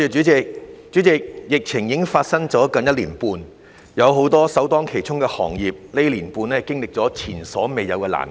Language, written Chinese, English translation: Cantonese, 主席，疫情已發生接近1年半，很多首當其衝的行業在這段時間經歷了前所未有的難關。, President it has been almost one and a half years since the outbreak of the epidemic and many industries that have been the first to bear the brunt of it have experienced unprecedented hardship during this period of time